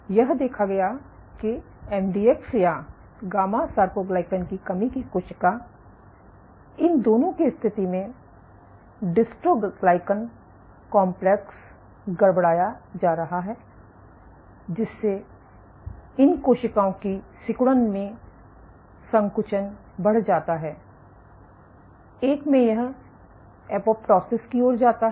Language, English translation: Hindi, So, in a sense what you saw is your MDX or gamma soarcoglycan deficient in both these cases your dystroglycan complex is being perturbed which leads to a contractile increase in contractility of these cells, in one case it leads to apoptosis